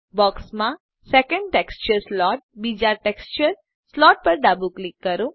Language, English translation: Gujarati, Left click Copy Texture slot settings Left click the second texture slot in the box